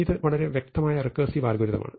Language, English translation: Malayalam, So, this is a very clear recursive algorithm